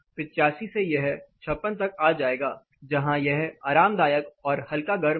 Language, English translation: Hindi, From 85 we have come all the way to 56 where it is comfortable and slightly warm